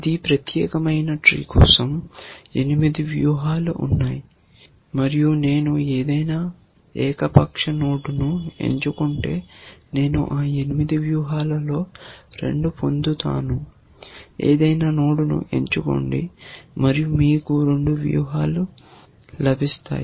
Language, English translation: Telugu, For this particular tree, there are 8 strategies and if I choose any arbitrary node, I will get 2 of those 8 strategies, choose any node and you will get 2 strategies